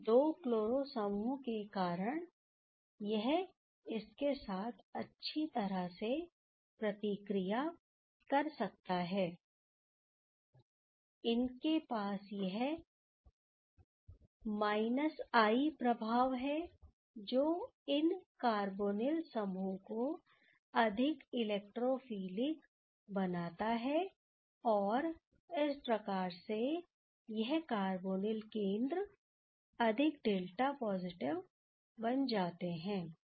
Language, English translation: Hindi, So, now this can nicely react with this because of having these two chloro groups, they are having this i effect that made these carbonyl group is more electrophilic, these carbonyl center becomes more delta positive ok